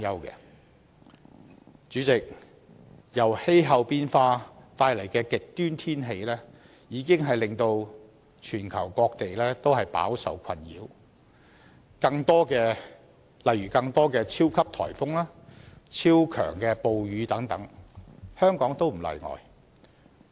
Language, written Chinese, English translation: Cantonese, 代理主席，由氣候變化帶來的極端天氣已令全球各地飽受困擾，例如出現更多的超級颱風、超強暴雨等，香港亦不例外。, Deputy President extreme weather events brought forth by climate change have already caused immense frustration to various places worldwide . For example there have been more instances of super typhoon super rainstorm and so on and Hong Kong is no exception